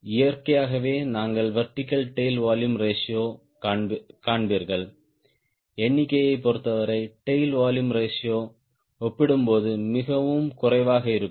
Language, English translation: Tamil, so naturally you find the vertical tail volume ratio, as per number is concerned, will you much less compared to tail volume ratio